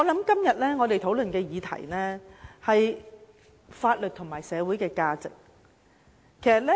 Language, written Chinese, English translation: Cantonese, 今天我們討論的議題是法律和社會價值觀。, The question of our discussion today is law and social values